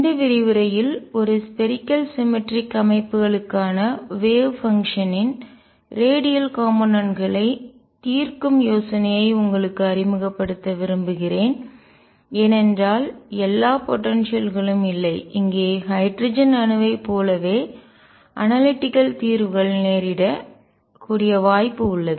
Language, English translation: Tamil, In this lecture I want to introduce you to the idea of solving the radial component of the wave function for a spherically symmetric systems, because not all potentials are such where analytical solutions are possible like they were for the hydrogen atom